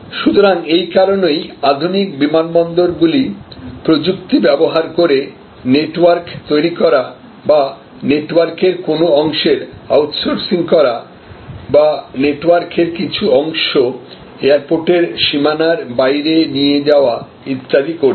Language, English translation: Bengali, So, that is why, these modern airports by use of technology or creating networks or sort of outsourcing part of the network or pushing out part of their network beyond the physical boundary of the airport